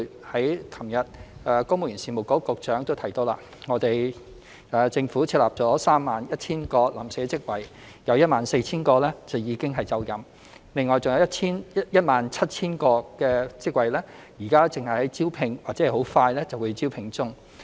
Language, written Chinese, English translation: Cantonese, 昨天，公務員事務局局長已提及，政府設立了 31,000 個臨時職位，其中 14,000 個已經就任，而餘下 17,000 個職位現正進行招聘或快將進行招聘。, Regarding the first aspect of creating job opportunities the Secretary for the Civil Service mentioned yesterday that the Government had created 31 000 temporary posts among which 14 000 posts have already been taken up whereas the remaining 17 000 posts are currently under recruitment or soon to be recruited